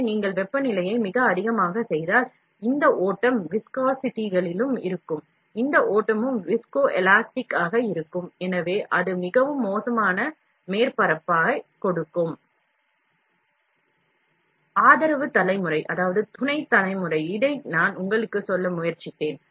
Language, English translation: Tamil, So, if you make the temperature very high, then this flow will be in also viscoelastic, this flow will be also viscoelastic, so, it will be very poor surface will be there